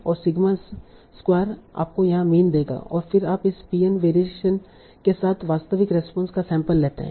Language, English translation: Hindi, And sigma square is this will give you the mean and then you will sample the actual response with this mean and certain variation